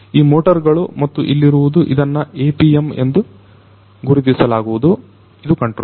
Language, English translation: Kannada, So, these motors and then you have you know this one is something known as the APM, this is a controller